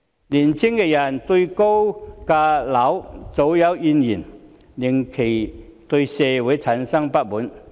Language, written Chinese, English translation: Cantonese, 年青人對高樓價早有怨言，令其對社會產生不滿。, Young people have long complained about the high property prices and this has caused dissatisfaction among them towards society